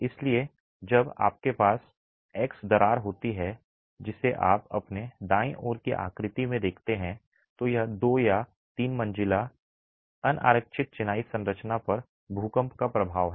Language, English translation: Hindi, So, when you have that, the X crack that you see in the figure on your right is the effect of an earthquake on a two or three storied unreinforced masonry structure